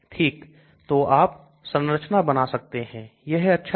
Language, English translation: Hindi, Okay so you can draw the structure that is the beauty of it